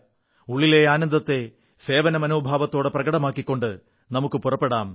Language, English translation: Malayalam, Let us proceed, enjoying our inner bliss, expressing our spirit of service